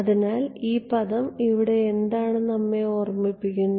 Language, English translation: Malayalam, So, this term over here what does it remind you of